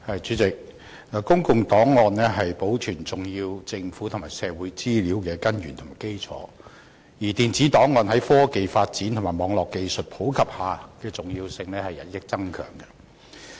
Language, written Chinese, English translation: Cantonese, 主席，公共檔案是保存重要的政府和社會資料的根源和基礎，而電子檔案在科技發展和網絡技術普及下的重要性亦與日俱增。, President public records are the source and foundation of the preservation of important government and social data and with technological development and popularization of Internet technology electronic records have become increasingly more important